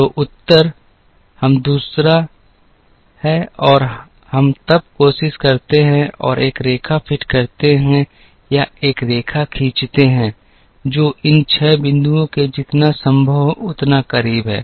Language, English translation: Hindi, So, the answer is we do the second and we then try and fit a line or draw a line, which is as close to these 6 points as possible